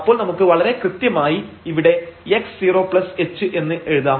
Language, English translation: Malayalam, So, precisely we can also write here x 0 plus h